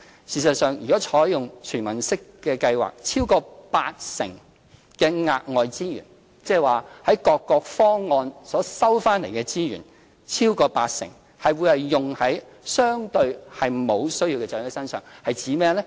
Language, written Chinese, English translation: Cantonese, 事實上，如採用"全民式"計劃，超過八成的額外資源，即從各個方案取得的資源中，超過八成會用於相對沒有需要的長者身上——指的是甚麼呢？, In fact if the universal scheme is adopted over 80 % of extra resources gathered under various proposals will be spent on elderly persons with relatively fewer needs